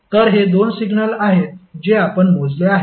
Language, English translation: Marathi, So these are the two signals which we have computed